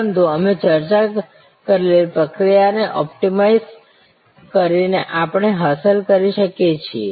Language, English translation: Gujarati, But, by optimizing the process that we discussed we can achieve